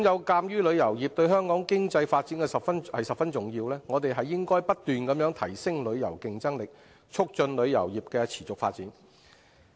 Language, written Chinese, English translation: Cantonese, 鑒於旅遊業對香港的經濟發展十分重要，我們應該不斷提升旅遊競爭力，促進旅遊業的持續發展。, Given the great importance of tourism on the economic development of Hong Kong we should keep enhancing our competitiveness in tourism to promote the sustainable development of the industry